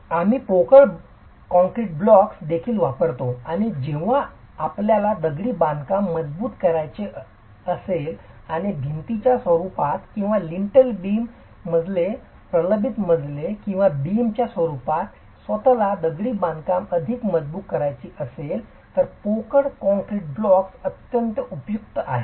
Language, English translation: Marathi, We use hollow concrete blocks as well and hollow concrete blocks are extremely useful when you want to reinforce masonry or when you want to reinforce masonry either in the form of walls or in the form of lintel beams, floors, reinforced floors or beams themselves